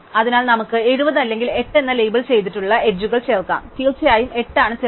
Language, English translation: Malayalam, So, we can either add the edges 70 or the edges labeled with weight 8 and obviously 8 is smaller